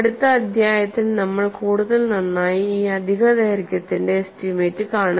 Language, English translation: Malayalam, In the next chapter, we would see better estimates of this additional length